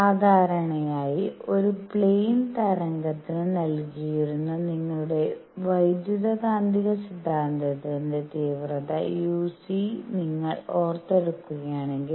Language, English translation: Malayalam, Usually, if you have recalled your electromagnetic theory intensity uc and that is given for a plane wave